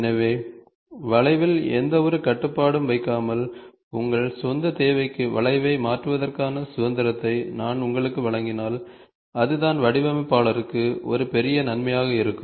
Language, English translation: Tamil, So, in curve, if I give you the freedom of tweaking the curve to your own requirement, without putting any constrain, then that is what will try to be a major advantage for the designer